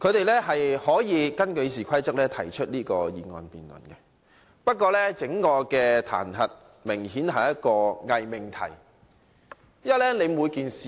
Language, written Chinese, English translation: Cantonese, 他們可以根據《議事規則》提出這項議案辯論，但這次彈劾明顯是一個偽命題。, They can initiate this motion for debate under the Rules of Procedure but this idea of impeachment is apparently a pseudo - proposition